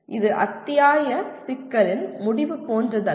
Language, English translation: Tamil, It is not like end of the chapter problem